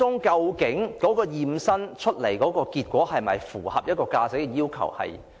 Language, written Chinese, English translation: Cantonese, 究竟其驗身結果是否符合駕駛要求？, Did his health check results meet the requirements for driving?